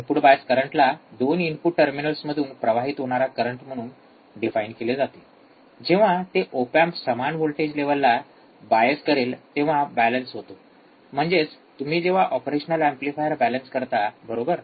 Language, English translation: Marathi, Input bias current can be defined as the current flowing into each of the 2 input terminals, each of the 2 input terminals, when they are biased to the same voltage level when the op amp is balanced; that means, that when you balance your operational amplifier, right